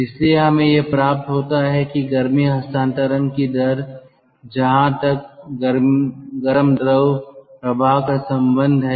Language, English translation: Hindi, um, this is the rate of heat transfer as far as the hot fluid stream is concerned